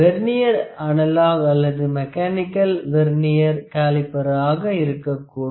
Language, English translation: Tamil, This Vernier caliper is actually the analog or mechanical Vernier caliper